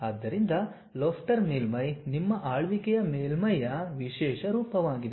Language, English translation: Kannada, So, lofter surface is a specialized form of your ruled surface